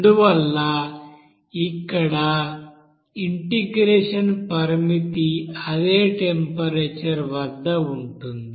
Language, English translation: Telugu, So that is why here integration limit will be there at the same temperature